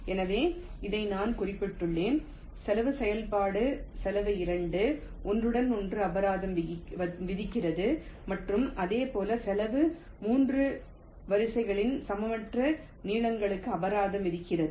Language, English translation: Tamil, ok, so this is what i mentioned: the cost function cost two penalizes the overlapping and similarly, cost three penalizes the unequal lengths of the rows